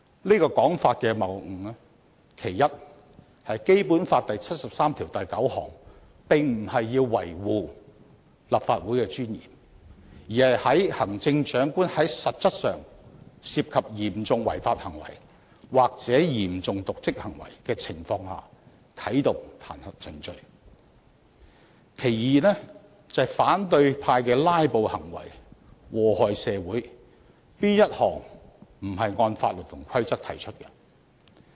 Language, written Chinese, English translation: Cantonese, 這種說法的謬誤之處，其一在於《基本法》第七十三條第九項並不是要維護立法會的尊嚴，而是在行政長官實質上涉及嚴重違法行為或嚴重瀆職行為的情況下啟動彈劾程序；其二，反對派的"拉布"行為禍害社會，可是哪一項不是按法律和規則提出的？, The fallacy of this argument is first the purpose of Article 739 of the Basic Law is not to uphold the dignity of the Legislative Council but to provide for the initiation of the impeachment procedure when the Chief Executive is charged with serious breach of law or dereliction of duty; second opposition camps filibustering has brought harm to society yet they are conducted in compliance with laws and rules